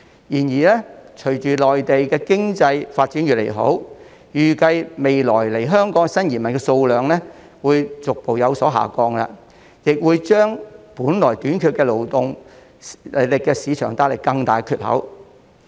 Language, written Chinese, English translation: Cantonese, 然而，隨着內地經濟發展越來越好，預計未來來港的新移民數量將會逐步下降，為本來已短缺的勞動力市場帶來更大缺口。, However with the growing economic development of the Mainland it is expected that the number of new immigrants coming to Hong Kong will gradually decrease in the future creating a larger gap to the already tight labour market